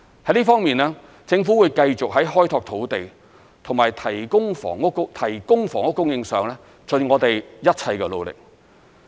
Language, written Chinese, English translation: Cantonese, 在這方面，政府會繼續在開拓土地及提供房屋供應上盡我們一切的努力。, In this regard the Government will continue to make every effort to develop land and provide housing supply